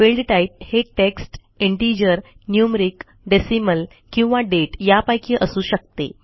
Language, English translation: Marathi, Field types can be text, integer, numeric, decimal or date